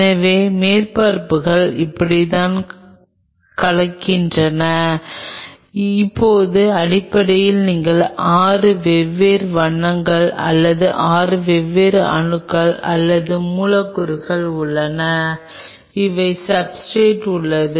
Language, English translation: Tamil, So, this is how the surfaces mix up, now essentially speaking you have 6 different colours or 6 different atoms or elements which are present on the substrate